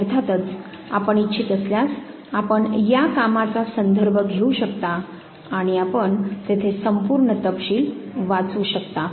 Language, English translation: Marathi, So, you can of course, if you want you can refer to this very work and you can read the full detail there